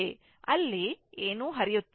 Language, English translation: Kannada, So, nothing is flowing there right